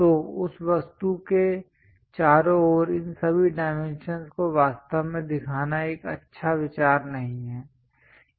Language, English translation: Hindi, So, it is not a good idea to really show all these dimensions around that object